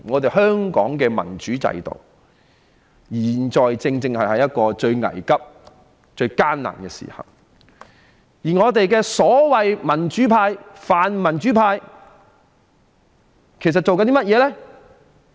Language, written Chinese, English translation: Cantonese, 當香港的民主制度現在處於一個最危急及最艱難的時刻，我們的所謂泛民主派正在做甚麼呢？, While Hong Kongs democratic system is in its most critical and difficult times at present what are the so - called pan - democrats doing right now?